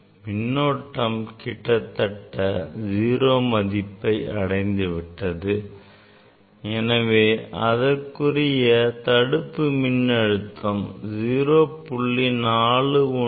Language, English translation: Tamil, it is a more or less 0 current and for that corresponding stopping voltage is 0